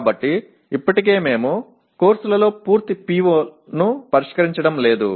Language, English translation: Telugu, So already we are not addressing the full PO1 in the courses